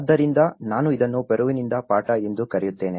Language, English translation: Kannada, So, this I call it as lessons from Peru